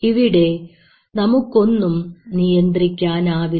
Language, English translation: Malayalam, You really do not have any control on it